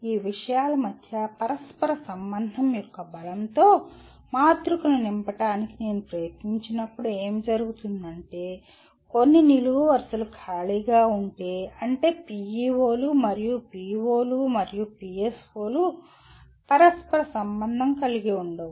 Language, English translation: Telugu, When I try to fill the matrix with the strength of correlation between these things what would happen is, if some columns are empty, that means PEOs and POs and PSOs are not correlated